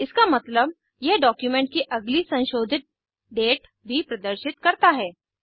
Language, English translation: Hindi, This means, it also shows the next edited date of the document